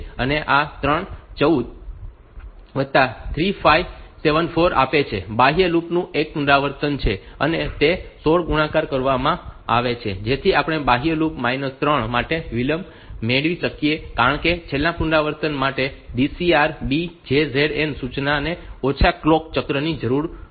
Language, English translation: Gujarati, And that is that is multiplied by 16 so that we can get the delay for the outer loop minus 3 because for the last iteration that DCR B the JZN instruction will require less clock cycles